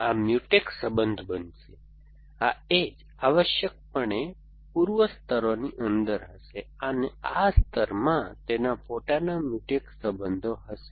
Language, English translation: Gujarati, So, this Mutex relation is going to be a, these edges are going to be inside east layers essentially, so this layer will have it is own Mutex relations